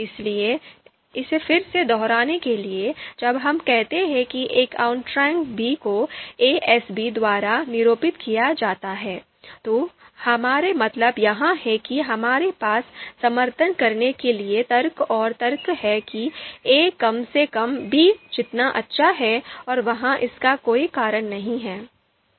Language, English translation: Hindi, So to to you know you know again to reiterate it to reiterate it again when we say that a outranks b denoted by a S b, what we mean that we have you know you know arguments and you know logic to support that a is at least as good as b and there are no reasons to refute this